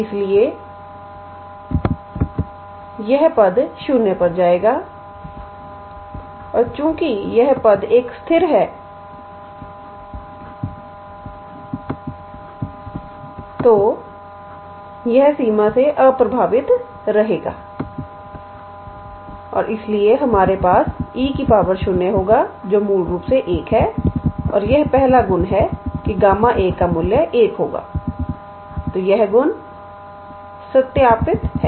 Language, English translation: Hindi, So, this term will go to 0 and since this term is a constant, it will remain unaffected by the limit and therefore, we will have e to the power 0, which is basically one and this is the first property that the value of gamma 1 will be 1